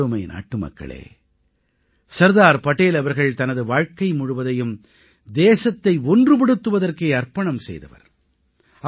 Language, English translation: Tamil, Sardar Patel devoted his entire life for the unity of the country